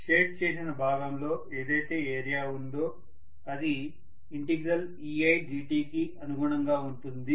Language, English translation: Telugu, Whatever is the area of the shaded portion which is corresponding to ei dt integral